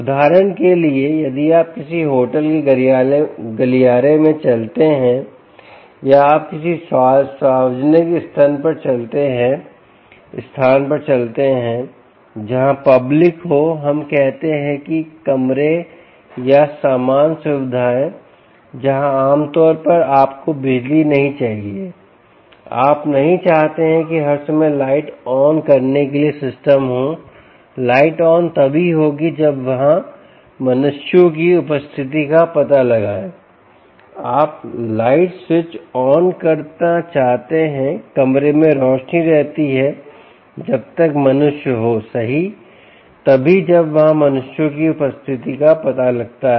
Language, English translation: Hindi, for instance, if you walk into the corridor of a hotel or you walk into a public place where there are public, let us say, rooms or common facilities, where normally you dont want power, you dont want the systems to have the lights on all the time, lights on only when they detect presence of humans, right, you want to